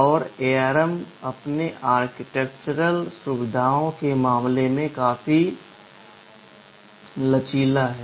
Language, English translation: Hindi, ARM is quite flexible in terms of its architectural features